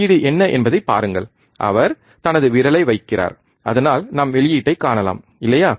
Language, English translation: Tamil, Output is see he is he is placing his finger so, that we can see the output, right